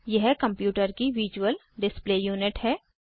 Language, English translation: Hindi, It is the visual display unit of a computer